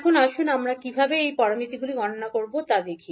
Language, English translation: Bengali, Now, let us see how we will calculate these parameters